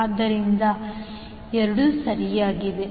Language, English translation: Kannada, So, both are correct